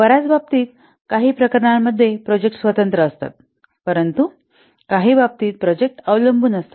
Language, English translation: Marathi, Many cases, in some cases, the projects are independent, but in some cases the projects are dependent